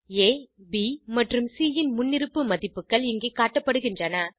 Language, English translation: Tamil, The default values of A, B and C are displayed here